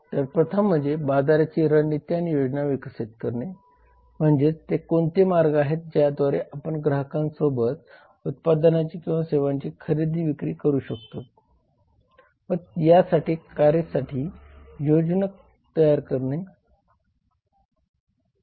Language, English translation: Marathi, so first is to develop market strategies and plans that means what are the ways through which you can market or buy and sell the products or services to the customers and the plans made for doing so